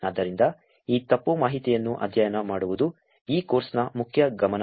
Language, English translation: Kannada, So, studying this misinformation is one of the main focus on this course